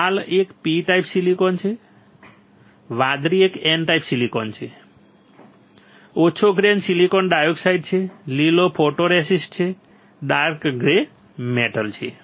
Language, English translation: Gujarati, Red one is P type silicon, blue one is N type silicon, light grey is silicon dioxide, green is photoresist, dark grey is metal this much is there